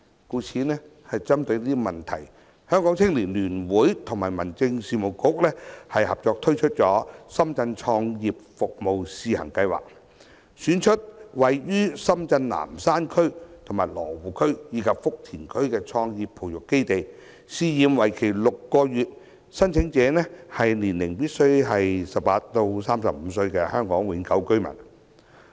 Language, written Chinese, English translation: Cantonese, 故此針對這問題，香港青年聯會和民政事務局合作推出深圳創業服務試行計劃，選出位於深圳南山區、羅湖區和福田區的創業培育基地，試驗為期6個月，申請者年齡必須為18至35歲的香港永久居民。, Noting this problem the Hong Kong United Youth Association has joined hands with the Home Affairs Bureau to launch the Shenzhen Startup Services Pilot Scheme under which Nanshan District Luohu District and Futian District in Shenzhen are selected as bases to incubate start - up enterprises for a pilot period of six months . This Scheme is open to Hong Kong permanent residents aged between 18 and 35